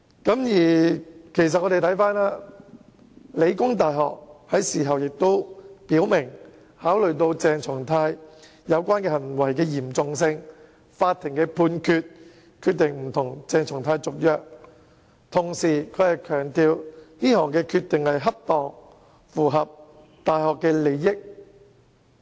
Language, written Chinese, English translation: Cantonese, 香港理工大學已經表明，基於鄭松泰有關行為的嚴重性及法庭作出的判決，決定不與他續約，並且強調這項決定不但恰當，而且符合大學的利益。, The Hong Kong Polytechnic University has already indicated clearly that due to the severity of the relevant conduct of CHENG Chung - tai and the judgment handed down by the Court they will not renew his contract . The University has also emphasized that this decision is not only appropriate but also in the interest of the University